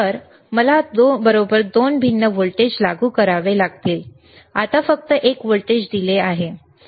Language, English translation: Marathi, So, I have to apply 2 different voltages right, now only one voltage is given right one signal is given,